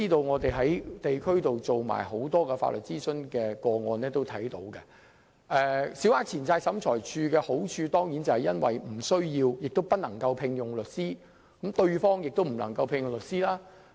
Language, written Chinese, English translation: Cantonese, 我們在地區曾處理很多法律諮詢個案，從中得知，審裁處的好處是訴訟雙方無需亦不能聘用律師，可避免產生律師費的風險。, From our experience of handling many cases seeking legal advice in the community we have learnt that for cases to be handled in SCT both parties need not and cannot have legal representation thus removing the risks of paying legal fees